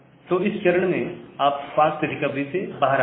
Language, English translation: Hindi, So, at this stage, you exit from the fast recovery